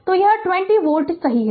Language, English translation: Hindi, So, it is 20 volt right ah